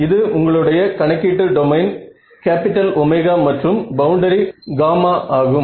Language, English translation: Tamil, So, this is your computational domain, capital omega and the boundary is gamma right